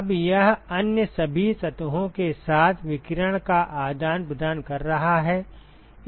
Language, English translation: Hindi, Now this is exchanging radiation with all other surfaces